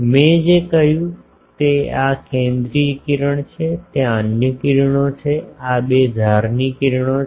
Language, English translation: Gujarati, What I said this is the central ray there are other rays, these are the two edge rays